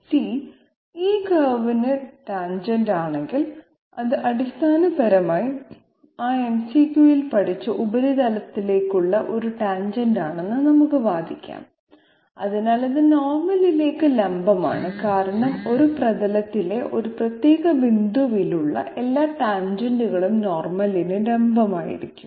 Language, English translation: Malayalam, We can argue that if C is tangent to this curve it is essentially a tangent to the surface which we studied in that MCQ therefore, it is essentially perpendicular to the normal because all tangents at a particular point on a surface will be perpendicular to the normal at that point to the surface, so C is perpendicular to the normal n